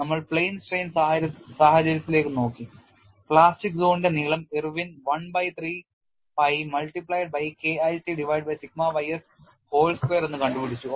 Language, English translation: Malayalam, We have looked at in plane strain situation Irwin has obtained the plastic zone length as 1 by 3 pi multiplied by K 1c divided by sigma y s whole square